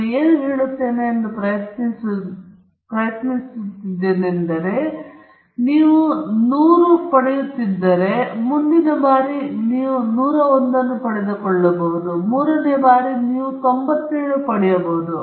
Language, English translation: Kannada, What I am trying to say is, suppose in the first case you are getting 100, and the next time you will repeat the experiment you may get a 101, in the third time you may get 97